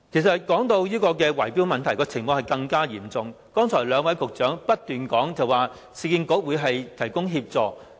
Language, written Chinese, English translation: Cantonese, 說到圍標問題，有關情況更為嚴重，雖然兩位局長剛才不斷說市建局會提供協助。, The problem of bid - rigging is even more acute though the two Bureau Directors repeatedly said just now that assistance would be offered by the Urban Renewal Authority URA